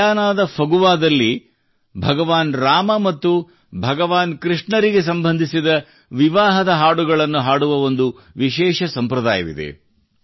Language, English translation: Kannada, In Phagwa of Guyana there is a special tradition of singing wedding songs associated with Bhagwan Rama and Bhagwan Krishna